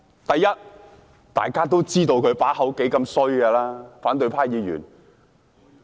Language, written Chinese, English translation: Cantonese, 第一，大家都知道他嘴裏說不出好話來，反對派議員......, First we all know that we can hardly expect a decent word from their mouths and Members of the opposition camp a glib talker over the past years